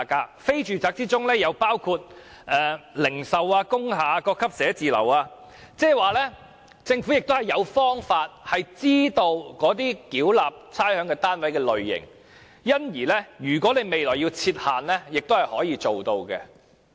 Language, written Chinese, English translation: Cantonese, 在非住宅中，亦包括零售、工廈、各級寫字樓等單位，亦即是說政府有方法知道繳納差餉單位的類型，所以如果政府要在未來設限也是可行的。, Non - residential units include shops factory buildings and offices of various grades . That is to say the Government has information on the types of rateable units and hence it is feasible to set restrictions in the future